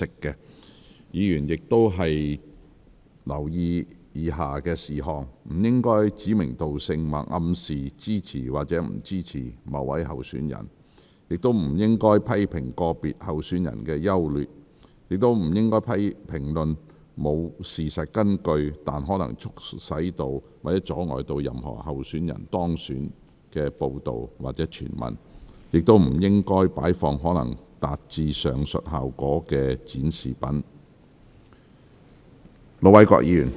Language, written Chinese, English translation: Cantonese, 議員發言時亦應留意以下事項：不應指明道姓或暗示支持或不支持某位候選人；不應評論個別候選人的優劣；不應評論沒有事實根據但可能促使或阻礙任何候選人當選的報道或傳聞；亦不應擺放可能達致上述效果的展示品。, Members should also pay attention to the following when they speak they should not name names or imply that they support or not support any candidates; they should not comment on the merits or demerits of individual candidates; they should not comment on reports or hearsays that are unsubstantiated but may cause or obstruct the election of any candidates; and they should not display any objects that may achieve the aforesaid effect